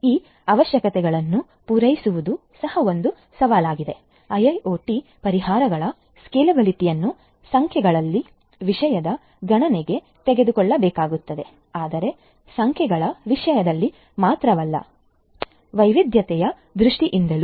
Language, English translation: Kannada, Catering to this going requirements is also a challenge; scalability of IIoT solutions will have to be taken into account both in terms of numbers, but not only in terms of numbers, but also in terms of diversity